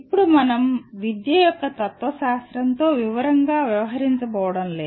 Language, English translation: Telugu, Now we are not going to deal with philosophy of education in detail